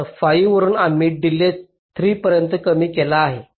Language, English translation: Marathi, so from five we have reduced the delay to three